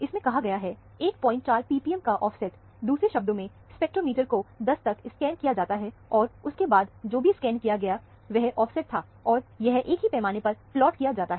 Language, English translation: Hindi, 4 p p m; in other words, the spectrometer is scanned up to 10, and beyond that, whatever is scanned was offset, and plotted on the same scale here